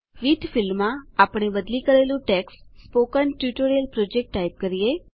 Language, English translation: Gujarati, In the With field we type the replaced text as Spoken Tutorial Project